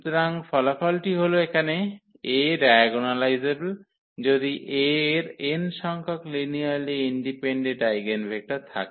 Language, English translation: Bengali, So, the result is here A is diagonalizable, if A has n linearly independent eigenvector